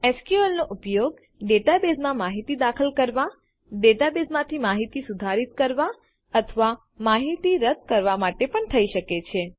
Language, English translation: Gujarati, SQL can also be used for inserting data into a database, updating data or deleting data from a database